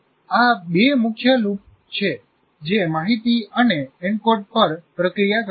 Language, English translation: Gujarati, These are the two major loops that process the information and encode